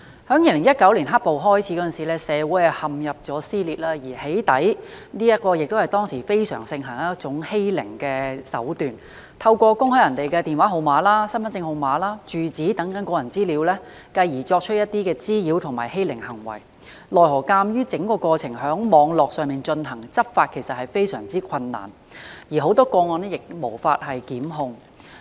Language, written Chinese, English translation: Cantonese, 在2019年"黑暴"開始，社會陷入撕裂，而"起底"是當時非常盛行的欺凌手段，透過公開他人的電話號碼、身份證號碼、住址等個人資料，繼而作出一些滋擾和欺凌的行為，奈何鑒於整個過程在網絡上進行，執法其實非常困難，而很多個案亦無法檢控。, At the time doxxing was a prevalent means of bullying . The divulgence of others personal data such as phone numbers identity card numbers and addresses was often followed by harassment and bullying . Nevertheless as all this took place online law enforcement was actually very difficult and it was impossible to institute prosecution in many cases